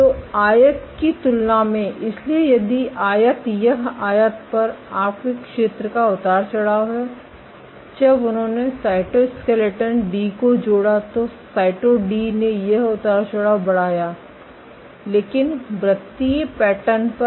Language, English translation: Hindi, So, compared to the rectangle, so if rectangle this is your area fluctuation on the rectangle when they added cytoskeleton D, plus Cyto D this fluctuation increased, but on the circular pattern